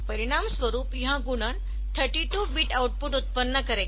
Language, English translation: Hindi, So, as a result this multiplication will produce a 32 bit output